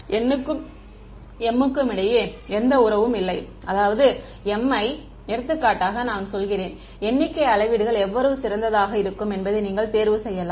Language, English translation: Tamil, There is no relation between n and m, I mean I mean m for example, the number of measurements you can choose it to be at best how much